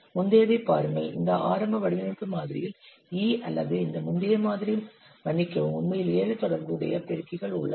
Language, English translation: Tamil, See in the earlier one was that E or this earlier model, sorry, in this early design model, actually there are seven associated multipliers